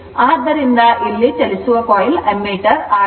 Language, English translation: Kannada, So, here it is a moving coil ammeter